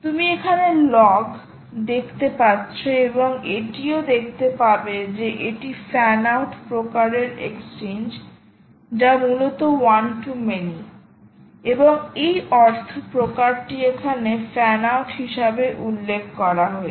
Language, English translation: Bengali, and you can also see that this is a fan out type of exchange, which essentially means one to many, and the type is mentioned here as fan out